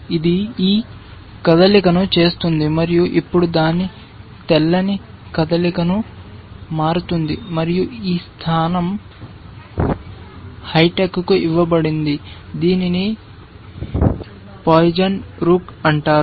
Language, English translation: Telugu, That makes this move and now its white’s turn to move and this position was given to hi tech essentially, this is called the poisoned rook